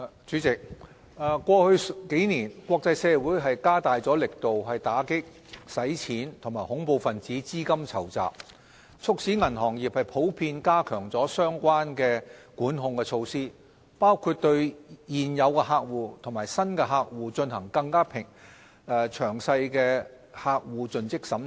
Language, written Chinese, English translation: Cantonese, 主席，過去數年，國際社會加大力度打擊洗錢及恐怖分子資金籌集，促使銀行業普遍加強了相關的管控措施，包括對現有客戶及新客戶進行更詳細的客戶盡職審查。, President in the past few years the strengthening of international efforts in combating money laundering and terrorist financing has in general led the banking industry to enhance their relevant controls including adopting a more comprehensive customer due diligence CDD process for existing and new customers